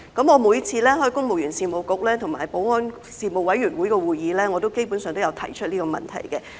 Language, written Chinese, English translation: Cantonese, 我每次出席公務員事務局和保安事務委員會的會議，基本上都有提出這問題。, I basically raise this issue at each of the meetings with the Civil Service Bureau or the Panel on Security